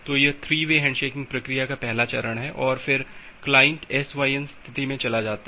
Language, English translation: Hindi, So, that is the first step of the 3 way handshaking procedure and then the client moves to the SYN sent state